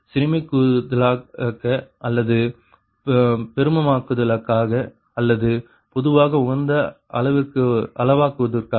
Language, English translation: Tamil, right so for minimizing or maximizing or in general for optimizing